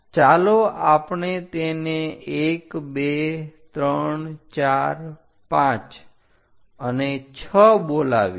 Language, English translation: Gujarati, Let us do 1 2 3 4 5 6 and the 7th one